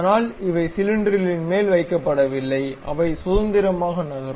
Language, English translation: Tamil, But these are not fixed on the cylinder, they are freely moving